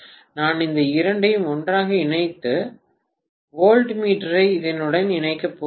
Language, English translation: Tamil, So, I am going to connect these two together and connect the voltmeter across this